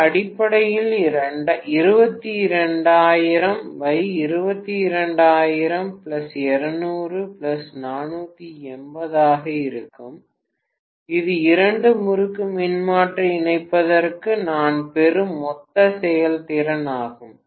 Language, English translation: Tamil, It will be essentially 22,000 divided by 22,000 plus 200 plus 480 this will be the total efficiency that I would get for the two winding transformer connection